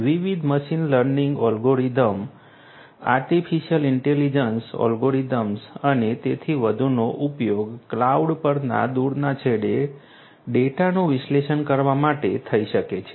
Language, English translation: Gujarati, Different machine learning algorithms artificial intelligence algorithms and so on could be used to analyze the data at the remote end at the cloud